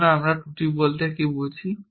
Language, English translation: Bengali, So, what do we mean by flaws